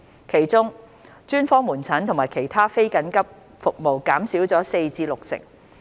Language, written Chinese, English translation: Cantonese, 其中，專科門診和其他非緊急服務減少了約四成至六成。, For example specialist outpatient clinics SOPC services and other non - emergency services were reduced by about 40 % to 60 %